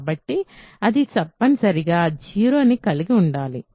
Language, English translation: Telugu, So, it must contain 0